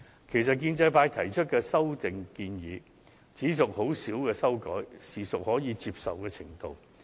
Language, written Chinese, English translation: Cantonese, 其實，建制派提出的修訂亦只屬輕微修改，應可接受。, Actually the amendments proposed by Members of the pro - establishment camp are only minor ones and should be acceptable